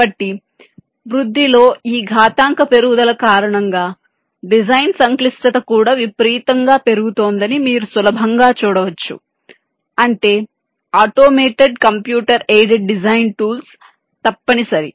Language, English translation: Telugu, so, because of this exponential increase in growth, one thing you can easily see: the design complexity is also increasing exponentially, which means automated computer aided design tools are essential